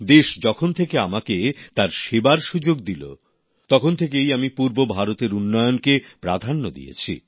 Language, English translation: Bengali, Ever since the country offered me the opportunity to serve, we have accorded priority to the development of eastern India